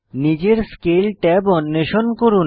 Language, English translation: Bengali, Explore Scale tab on your own